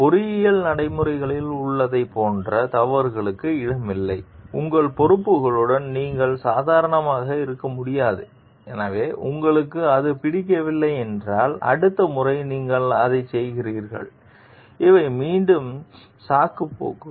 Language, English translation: Tamil, And there is no place for mistakes in case of like in engineering practices, you cannot be casual with your responsibilities So, if you don t like it, you do it next time these are again excuses